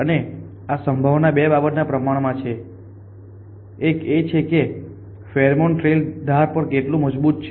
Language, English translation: Gujarati, And the probability is proportion 2 thing; one is how strong is pheromone trail on that h